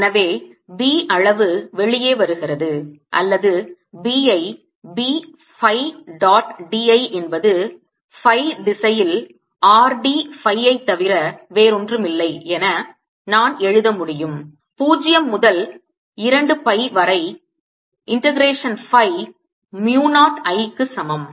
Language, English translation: Tamil, alright, we can write it as b, as b phi dot d l is nothing but r d phi in the phi direction, integration phi from zero to two